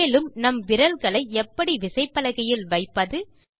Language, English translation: Tamil, Now, lets see the correct placement of our fingers on the keyboard